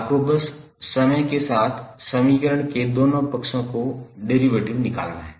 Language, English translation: Hindi, You have to simply take the derivative of both side of the equation with respect of time